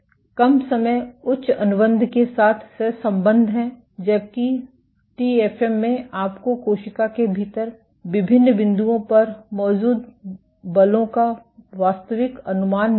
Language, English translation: Hindi, Lesser time is correlated with higher contractility while, in TFM you get actual estimate of forces exerted at different points within the cell